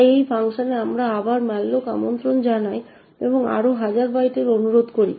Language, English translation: Bengali, Now in this child thread we malloc another thousand bytes